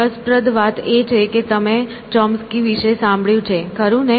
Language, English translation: Gujarati, Interestingly, you have heard of Chomsky, right